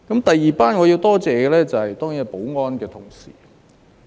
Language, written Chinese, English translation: Cantonese, 第二班我要多謝的，當然是負責保安工作的同事。, The second group of people whom I wish to thank are colleagues responsible for security work